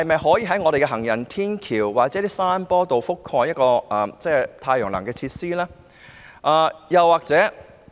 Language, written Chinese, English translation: Cantonese, 可否在行人天橋或山坡裝設太陽能發電設施？, Can solar power devices be installed on footbridges or hillsides?